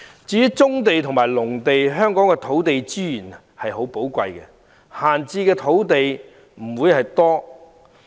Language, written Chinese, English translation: Cantonese, 至於棕地和農地，由於香港的土地資源十分寶貴，故閒置的土地不多。, As for brownfield and agricultural sites given that land resources are very precious in Hong Kong there is barely any land left idle